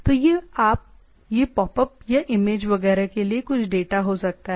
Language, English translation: Hindi, So, it can be some data to be popped up or image etcetera